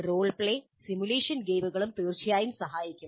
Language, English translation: Malayalam, Role play simulation games also would definitely help